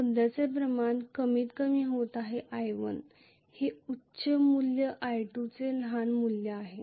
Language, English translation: Marathi, The current is decreasing originally i1 is the higher value i2 is the smaller value